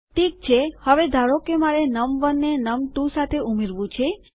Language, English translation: Gujarati, Okay, now, say I want to add num1 and num2 together